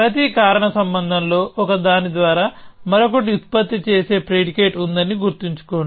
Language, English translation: Telugu, Remember that every causal link has a predicate produced by one consumed by the other